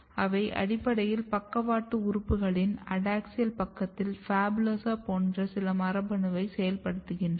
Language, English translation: Tamil, And they basically is activating some of the gene like PHABULOSA in the adaxial side of the lateral organs